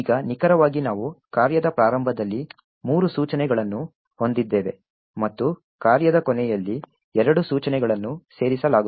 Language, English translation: Kannada, Now precisely we have three instructions at the start of the function and two instructions that gets inserted at the end of the function